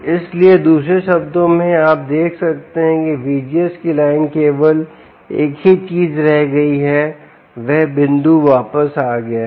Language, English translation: Hindi, so, in other words, here you can see, v gs has line has remained the same, only thing that the point has moved back